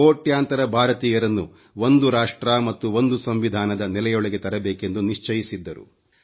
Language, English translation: Kannada, He ensured that millions of Indians were brought under the ambit of one nation & one constitution